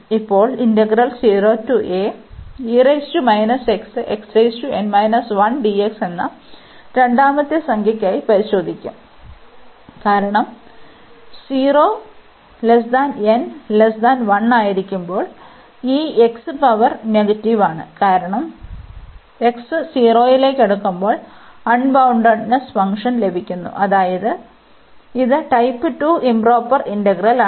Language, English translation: Malayalam, And now we will test for the second integer, because when n is between 0 and 1, we have this x power negative, so because of this when x approaches into 0, we are getting the unbounded function meaning this is a type 2 improper integral